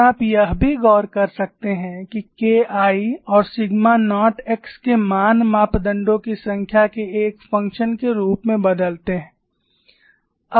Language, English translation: Hindi, And you can also notice that the values of k 1 and sigma naught x change as a function of number of parameters